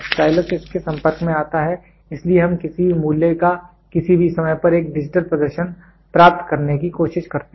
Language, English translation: Hindi, The stylus comes in contact with it so we try to get a digital display of the value at any given point of time